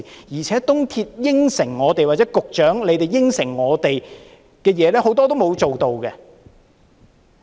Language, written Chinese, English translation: Cantonese, 而且，港鐵公司、副局長答應過我們的事，很多都沒有做到。, Besides many of the promises MTRCL and the Under Secretary gave us have gone unfulfilled